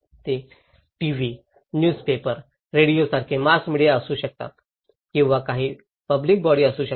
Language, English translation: Marathi, They could be mass media like TV, newspapers, radios or could be some public institutions